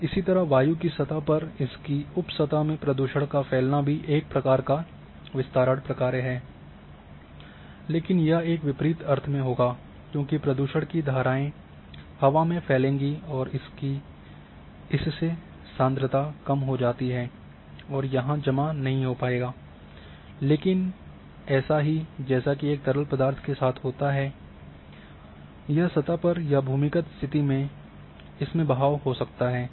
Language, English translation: Hindi, And similarly the pollution plumes in air surface and sub surface this is a spread function, but in an opposite sense opposite sense because a pollution plumps will it spread in air and the concentration reduces it does not accumulate, but it does it same would be it is a fluid then it will flow on the surface or may be in underground condition